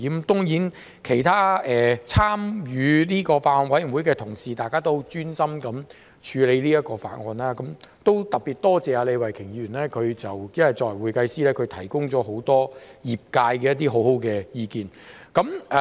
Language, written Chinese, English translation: Cantonese, 當然，參與這個法案委員會的其他同事，也十分專心地處理法案，我特別多謝李慧琼議員，她作為會計師，提供了很多業界很好的意見。, Certainly the other colleagues who joined the Bills Committee were also very dedicated in scrutinizing the Bill . I would like to thank Ms Starry LEE in particular for her excellent advice to the industry as an accountant